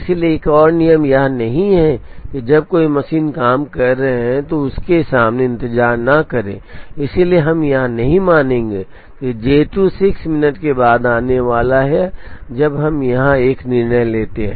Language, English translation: Hindi, So, another rule is do not keep a machine idle when there are jobs waiting in front of it therefore, we will not consider that J 2 is going to come after 6 minutes when we make a decision here at time equal to 0